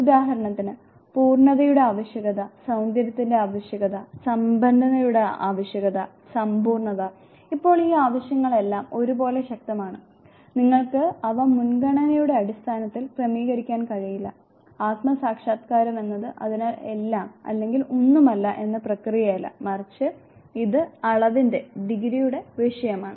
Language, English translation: Malayalam, For example, need for perfection, need for beauty, need for richness, wholeness, now all these needs they are equally potent you cannot arrange them in priority and self actualization is therefore, is not all or none process rather it is a matter of degree